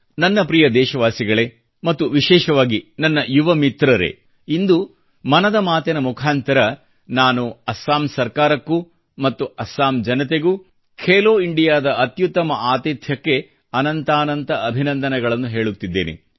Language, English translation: Kannada, My dear countrymen and especially all my young friends, today, through the forum of 'Mann Ki Baat', I congratulate the Government and the people of Assam for being the excellent hosts of 'Khelo India'